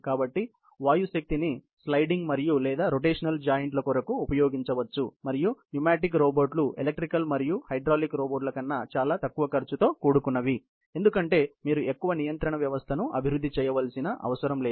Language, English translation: Telugu, So, the pneumatic power can be used for sliding and or rotational joints, and pneumatic robots are much less expensive than electrical and hydraulic, because you do not need to develop much of a control system